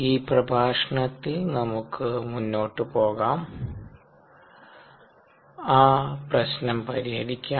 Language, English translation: Malayalam, in this lecture let us go a head and solve that problem